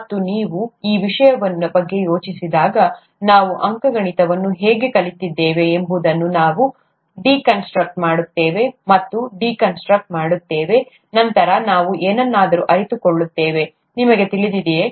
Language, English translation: Kannada, And when you think of these things, we deconstruct and deconstruct how we learnt arithmetic, then we come to realize something, you know